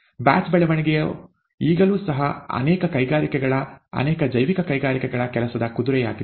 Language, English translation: Kannada, Batch growth happens to be the work horse of many industries, many biological industries, now even nowadays